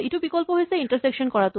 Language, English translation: Assamese, The other option is to do intersection